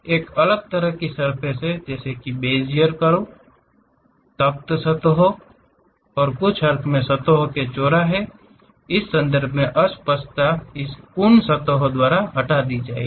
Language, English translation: Hindi, There are different kind of surfaces like Bezier surfaces, spline surfaces and in some sense the ambiguity in terms of intersection of surfaces will be removed by this Coon surfaces